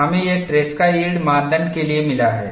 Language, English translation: Hindi, We have got this for Tresca yield criterion